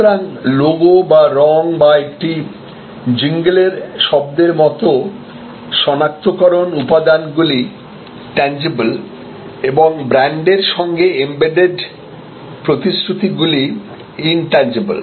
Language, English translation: Bengali, So, identifies like logo or colour or a jingle sound are tangibles and intangibles are the embedded promise of the brand